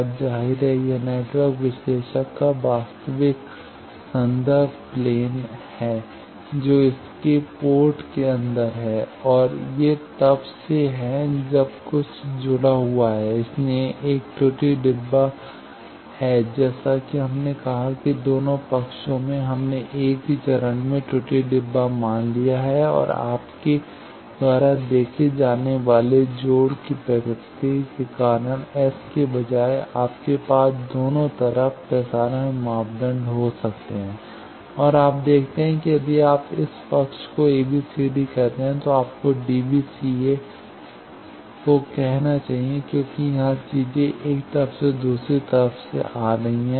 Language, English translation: Hindi, Now obviously, this is your actual inside reference plane of the network analyser which is its ports inside and these are since you have connected something, so there is an error box is as we said that in both side we have assumed error box same phase also due to the nature of connection you see, instead of S you can also have transmission parameters both sides and you see that if you call this side A B C D this side you should call D B C A because the things are here coming from one side here from another side